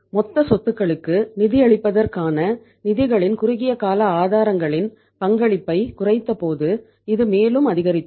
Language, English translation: Tamil, It further increased when we decrease the say contribution of the short term sources of the funds to fund the total assets